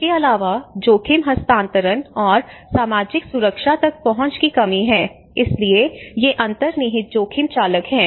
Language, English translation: Hindi, Also lack of access to risk transfer and social protection, so these are the kind of underlying risk drivers